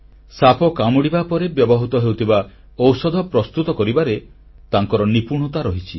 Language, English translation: Odia, She has mastery in synthesizing medicines used for treatment of snake bites